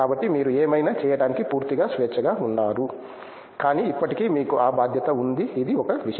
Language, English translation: Telugu, So, you are completely free to do whatever, but still you have that responsibility this is one thing